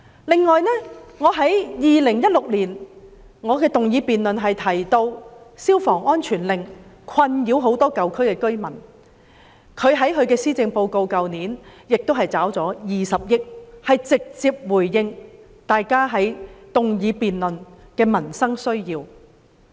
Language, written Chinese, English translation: Cantonese, 此外，我在2016年動議的議案中提到，消防安全令困擾很多舊區居民，而特首在去年的施政報告已撥款20億元，直接回應我們在議案辯論提出的民生需要。, Moreover in a motion I moved in 2016 I mentioned that many residents in the old districts felt disturbed by the fire safety compliance order . The Chief Executive allocated 2 billion for this purpose in the Policy Address last year directly responding to the livelihood needs we mentioned in the motion debate